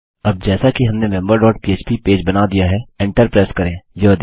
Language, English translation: Hindi, Now as weve created member dot php, press Enter